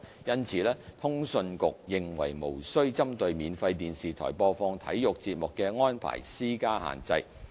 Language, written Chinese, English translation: Cantonese, 因此，通訊局認為無需針對免費電視台播放體育節目的安排施加限制。, Therefore CA considers that the present arrangement of not requiring a free TV broadcaster to broadcast sports programmes should be maintained